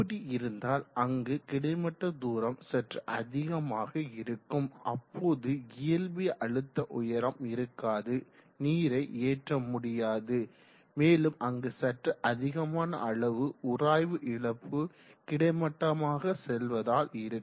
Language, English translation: Tamil, And then there is quite at distance of horizontal travel where actually there is no physical head, water is not lifted, but there is quite a significant amount of friction loss due to the horizontal travel